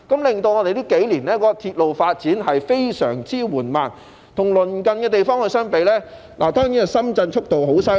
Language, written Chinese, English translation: Cantonese, 結果令這數年的鐵路發展非常緩慢，與鄰近地方相比，深圳的速度當然很厲害。, As a result the development of railway has been very slow over the past few years . If we make a comparison with the neighbouring places we will see that Shenzhen is certainly developing at an impressive speed